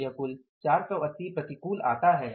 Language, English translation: Hindi, So, this is the total works out as 480 adverse